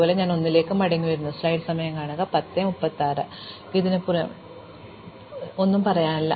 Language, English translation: Malayalam, Likewise I come back to 1, and I find that it has nothing new to say